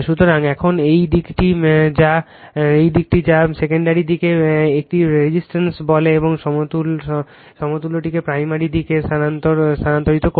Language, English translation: Bengali, So, now this this side your what you call the secondary side a resistance and reactance the equivalent one transferred to the primary side, right